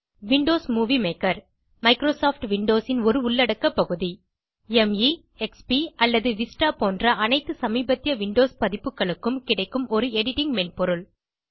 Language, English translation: Tamil, Windows Movie Maker, a component of Microsoft Windows, is an editing software that is available for all the latest Windows versions – Me, XP or Vista